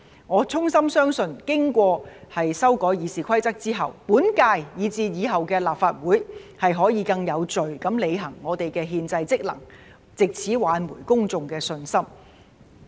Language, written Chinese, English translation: Cantonese, 我衷心相信，經過修改《議事規則》後，本屆以至以後的立法會可以更有序地履行我們的憲制職能，藉此挽回公眾的信心。, I sincerely believe that after RoP are amended the Legislative Council in the current and subsequent terms will be able to perform our constitutional functions in a more orderly manner thereby restoring public confidence